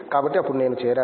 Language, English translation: Telugu, So, then I joined it